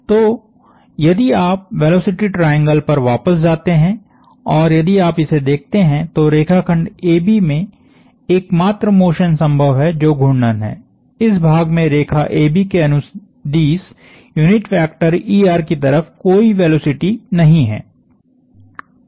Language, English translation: Hindi, So, we said if you go back to the velocity triangle, the only motion possible if you look at this the only motion possible of the line segment AB is a rotation, this part has no velocity along er the unit vector along the line AB